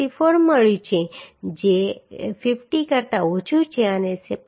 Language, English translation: Gujarati, 64 which is less than 50 and 0